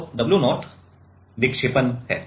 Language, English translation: Hindi, So, w 0 is deflection